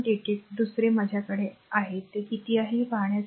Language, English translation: Marathi, 88 another I have to see how much it is right